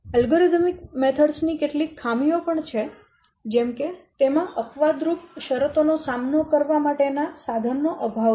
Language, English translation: Gujarati, There are some drawbacks of algerding methods such as it lacks the means to detail with to deal with exceptional conditions